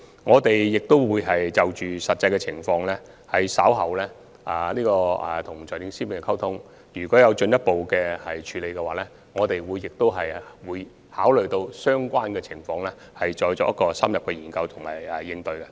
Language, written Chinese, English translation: Cantonese, 我們稍後會與財政司司長就實際情況進行溝通，如果有進一步的處理方案，我們會一併考慮相關的情況，然後再作出深入的研究和應對。, We will communicate with the Financial Secretary on the actual situation in due course . If further proposals are available we will take the relevant situations into consideration and conduct in - depth study before formulating corresponding measures